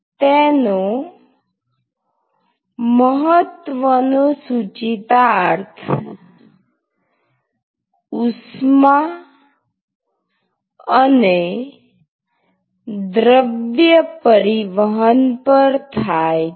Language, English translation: Gujarati, So, that has an important implication in heat and mass transport